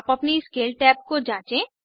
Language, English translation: Hindi, Explore Scale tab on your own